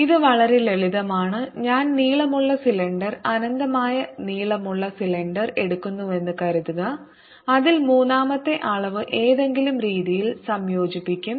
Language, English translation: Malayalam, suppose i take long cylinder, infinitely long cylinder, in which the third dimension any way gets integrated out